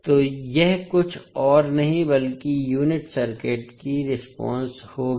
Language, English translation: Hindi, So this would be nothing but the unit impulse response of the circuit